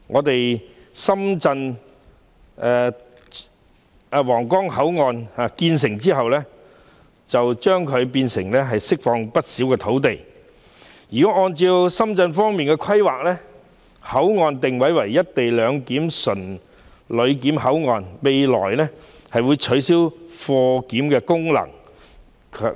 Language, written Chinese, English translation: Cantonese, 當皇崗口岸完成重建後，將會釋放不少土地，因為按深方的規劃，新皇崗口岸的定位為"一地兩檢"純旅檢口岸，未來將取消口岸的貨檢功能。, Upon completion of the redevelopment of the Huanggang Port a great deal of land will be released . It is because according to the Shenzhen Municipal Governments planning the new Huanggang Port is positioned as a control point with co - location arrangement implemented purely for passenger clearance and its cargo clearance function will be abolished in the future